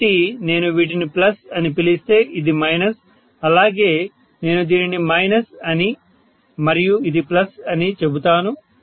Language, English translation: Telugu, See I am essentially looking at this as minus, this as plus and this as minus and this as plus, right